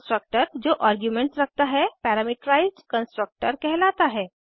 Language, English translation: Hindi, The constructor that has arguments is called parameterized constructor